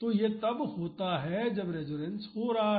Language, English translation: Hindi, So, it is given when the resonance is happening